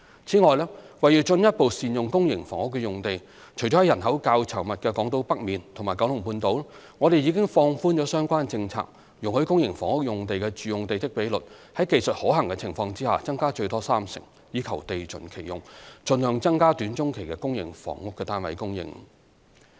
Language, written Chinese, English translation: Cantonese, 此外，為進一步善用公營房屋用地，除了在人口較稠密的港島北面和九龍半島外，我們已放寬相關政策，容許公營房屋用地的住用地積比率在技術可行的情況下增加最多三成，以地盡其用，盡量增加短中期的公營房屋單位供應。, Moreover to further optimize the use of public housing sites we have relaxed the relevant policy to allow the domestic plot ratio for public housing sites by up to 30 % where technically feasible except those in the north of Hong Kong Island and Kowloon Peninsula which are more densely populated thereby optimizing land use and maximizing the supply of public housing units in the short - to - medium term